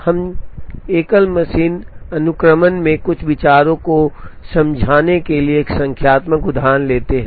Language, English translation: Hindi, We take a numerical example, to explain few ideas in single machine sequencing